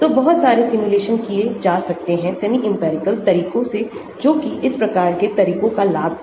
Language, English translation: Hindi, so lot of these simulations can be done using semi empirical methods that is the advantage of these type of methods